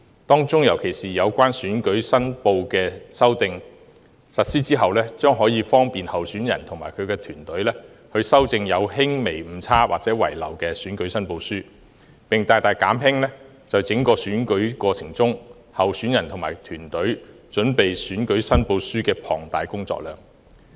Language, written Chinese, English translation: Cantonese, 當中有關選舉申報的修訂，若實施後，將可方便候選人及其團隊，修正有輕微誤差或遺漏的選舉申報書，並大大減輕在整個選舉過程中，候選人及其團隊準備選舉申報書的龐大工作量。, The amendments regarding election returns if implemented will facilitate candidates and their teams in rectifying minor errors or omissions in election returns and thus greatly reduce the heavy workload in preparing these documents in the electoral process